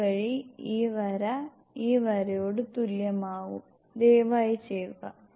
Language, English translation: Malayalam, So that, the line is equal into this line, please do